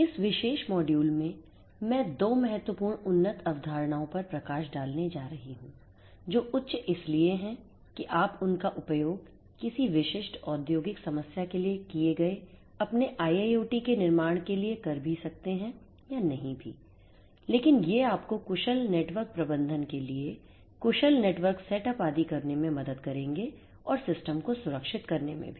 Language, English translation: Hindi, In this particular module I am going to highlight 2 important advanced concepts which are advanced in the sense that you know you may or may not use them for building your IIoT for a specific industrial problem, but these will help you to do efficient network setup for efficient network management and so on and also for securing the system